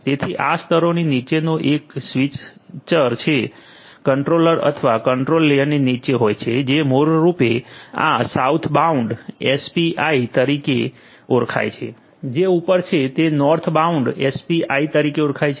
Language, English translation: Gujarati, So, the one switcher below these layers which are below the control the controller or the control layer this basically is known as the Southbound API, once which are above are known as the Northbound API